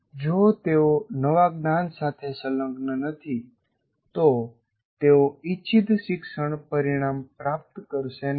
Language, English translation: Gujarati, If they are not engaging, if new knowledge, they will not attain the intended learning outcome